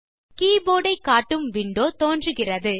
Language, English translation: Tamil, The window displaying the keyboard appears